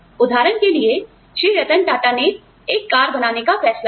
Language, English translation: Hindi, Rattan Tata, decided to build a car